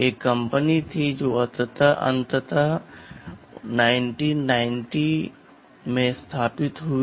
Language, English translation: Hindi, There was a company which that finally, got founded in 1990